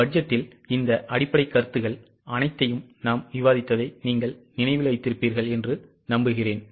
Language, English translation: Tamil, I hope you remember we have discussed all these basic concepts on budget